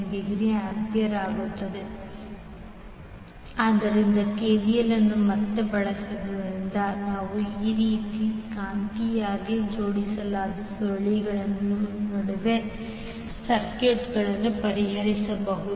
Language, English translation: Kannada, So using KVL again you can solve the circuits where you see these kind of magnetically coupled coils